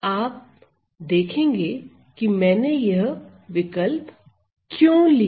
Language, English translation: Hindi, You will see why this choice is taken